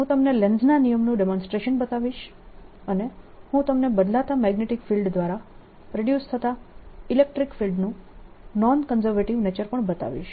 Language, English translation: Gujarati, i'll show you demonstration of lenz's law and i'll also show you the non conservative nature of electric field produced by a changing magnetic field